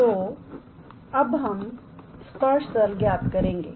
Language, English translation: Hindi, So, we now, calculate the tangent plane